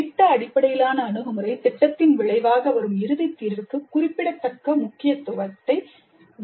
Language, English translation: Tamil, Project based approach attaches significant importance to the final solution resulting from the project